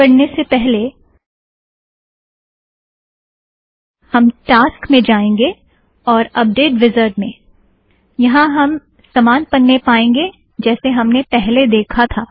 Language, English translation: Hindi, Alright, before we proceed with this, let us first go to the task, update wizard – we see the identical page we saw a little earlier